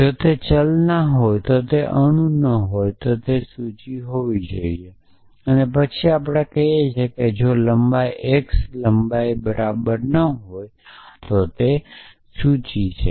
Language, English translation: Gujarati, So, if it is not a variable then if it is not an atom it must be a list then we say if length x not equal to length it is a list